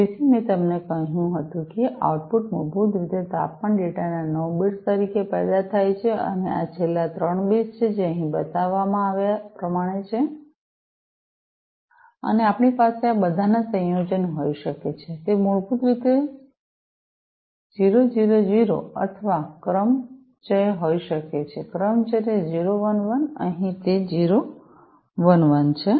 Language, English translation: Gujarati, So, I told you that the outputs are basically generated as 9 bits of temperature data and these are the last three bits, that are shown over here, and we can have a combination of all of these like, you know, it could be 000 or a permutation basically permutation 011 over here it is 011